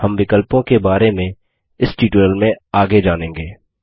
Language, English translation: Hindi, We will learn about the options as we go further in this tutorial